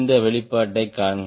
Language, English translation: Tamil, please see this expression